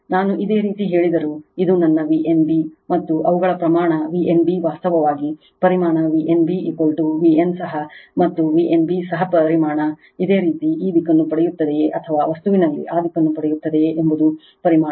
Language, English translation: Kannada, whatever I told you just this is my V n b and their magnitude V n b actually magnitude V n b is equal to V p, V n also V p and V b n also magnitude V p right this is magnitude whether you get this direction or that direction in material